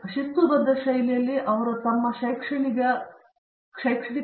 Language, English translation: Kannada, So, they should be committed to their discipline to their academic discipline in a disciplined fashion